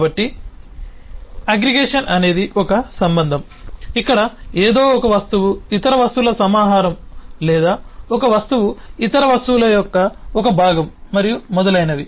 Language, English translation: Telugu, so the aggregation is a relationship where one object, necessary in some way, is a collection of other objects, or one object is a some way a component of other objects and so on